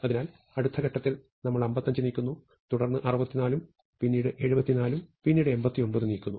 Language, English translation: Malayalam, So, at the next step, we move 55 and then we move 64 and then we move 74 and then we move 89, right